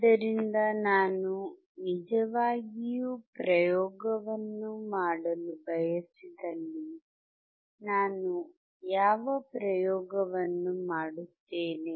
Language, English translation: Kannada, So, let us see if I really want to perform the experiment, and what experiment I will do